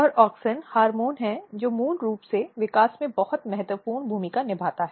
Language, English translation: Hindi, And auxin is very important hormone which plays a very important role in the root development